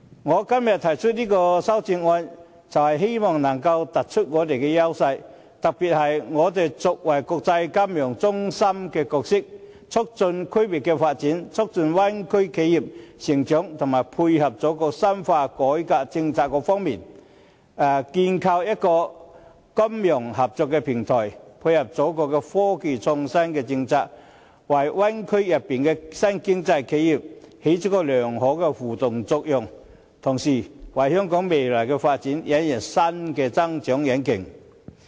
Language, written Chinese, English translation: Cantonese, 我今天提出這項修正案，便是希望能夠突出香港的優勢，特別是香港作為國際金融中心的角色，在促進區域的發展、促進灣區企業成長及配合祖國深化改革政策方面，構建一個金融合作平台，以配合祖國的科技創新政策，為灣區內的新經濟企業，發揮良好的互動作用，同時為香港的未來發展引入新的增長引擎。, In particular the amendment emphasizes that in its role as an international financial centre Hong Kong can establish a platform of financial cooperation to promote regional development and the growth of Bay Area enterprises and to dovetail with the countrys policy of further reform . This will dovetail with the countrys new policy of innovation and technology promote the positive interaction of new economy enterprises in the Bay Area and also give Hong Kong a new locomotive of growth in its future development . President Hong Kongs financial services are compatible with international standards